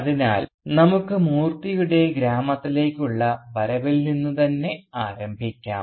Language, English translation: Malayalam, So let us start for instance with Moorthy's return to the village